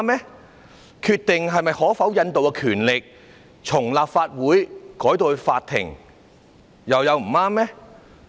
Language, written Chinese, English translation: Cantonese, 把決定可否引渡的權力由立法會轉移給法庭，又有不對嗎？, Also is there anything wrong with transferring the power of deciding whether extradition is permitted or not from the Legislative Council to the Court?